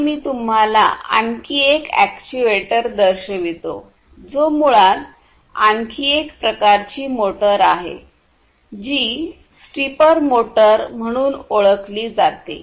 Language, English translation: Marathi, And let me show you another actuator which is basically another type of motor which is known as the stepper motor